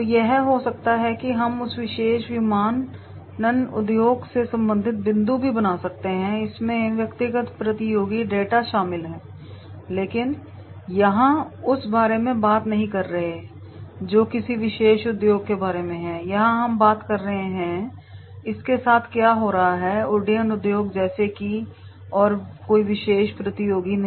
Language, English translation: Hindi, So that can be we can also make the points related to that particular aviation industry, this does not include individual competitor data but here we are not talking about that is the about a particular industry, here we are talking about that what is happening with this aviation industry as such and not a particular competitor